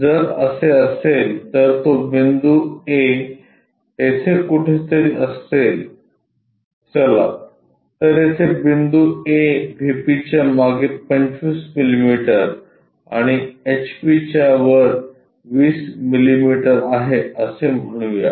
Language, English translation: Marathi, If that is the case point a will be somewhere here, let us call point a which is 25 millimetres behind VP and 20 millimetres above HP